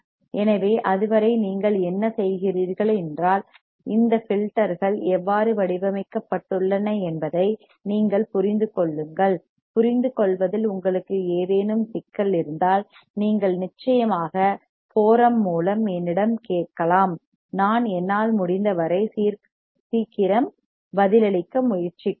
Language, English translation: Tamil, So, till then what you do is, you just look at this lecture understand how these filters are designed and if you have any kind of problem in understanding, you can definitely ask me through the forum and I will try to get back to you at my earliest